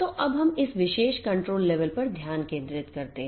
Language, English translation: Hindi, So, let us now focus on this particular control plane